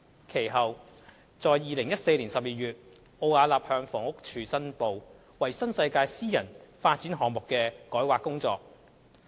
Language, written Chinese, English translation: Cantonese, 其後，在2014年12月，奧雅納向房屋署申報參與新世界發展有限公司私人發展項目的改劃工作。, Subsequently in December 2014 Arup declared to the Housing Department HD its rezoning work undertaken for a private development project of the New World Development Company Limited NWD